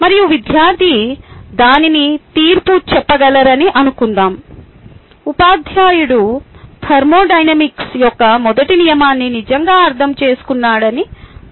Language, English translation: Telugu, and if the student answers that question, teachers say that ok, she understands first law of thermodynamics